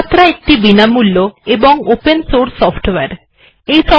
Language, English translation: Bengali, And Sumatra is free and open source